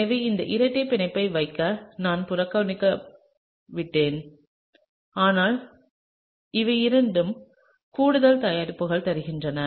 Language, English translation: Tamil, So, I have neglected to put in this double bond, but these are the two additional products